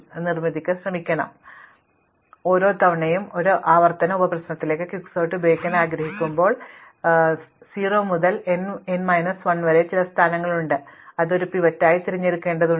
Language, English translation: Malayalam, So, the solution is to not fix the strategy, each time I want to apply Quicksort to a recursive sub problem, I have some position 0 to n minus 1 which I need to pick as a pivot